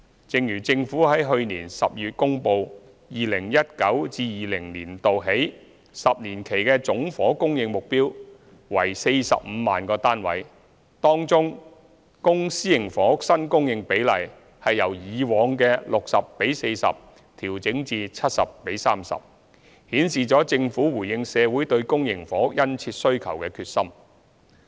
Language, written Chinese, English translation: Cantonese, 正如政府在去年12月公布 ，2019-2020 年度起10年期的總房屋供應目標為45萬個單位。當中，公私營房屋新供應比例由以往的 60：40 調整至 70：30， 顯示了政府回應社會對公營房屋殷切需求的決心。, As announced in December last year the total housing supply target for the ten - year period from 2019 - 2020 is 450 000 units and the publicprivate split of new housing supply is revised from 60col40 to 70col30 showing the Governments determination in addressing societys strong demand for public housing